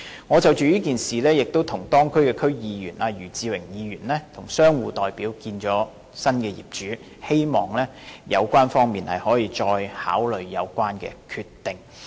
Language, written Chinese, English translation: Cantonese, 我曾就這件事跟當區區議員余智榮和商戶代表約見新業主，希望新業主可以再考慮有關決定。, I together with YU Chi - wing District Council member of that district and representatives of the shop tenants had met with the new owner on this issue to urge the new owner to reconsider the decision